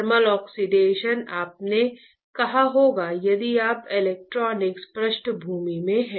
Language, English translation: Hindi, Thermal oxidation you may have said if you are from electronics background